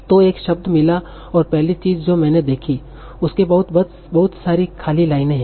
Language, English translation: Hindi, So I'm at a word and the first thing I check is are there lots of blank lines after me